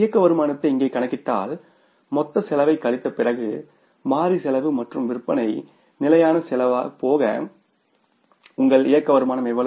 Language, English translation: Tamil, If you calculate the operating income here after subtracting the total cost, variable cost and the fixed cost from the sales revenue